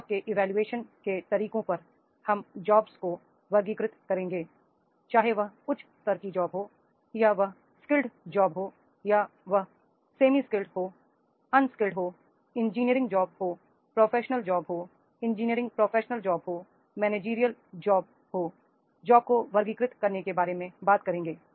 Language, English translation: Hindi, On methods of the job evaluation, we will classifying the jobs, that is the whether it is a high level job or it is the skilled job or it is semi skilled job, unskilled job, engineering job, professional job, management engineering professional job or the managerial professional jobs that classifying the jobs we will talk about